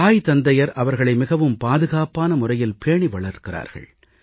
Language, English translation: Tamil, Parents also raise their children in a very protective manner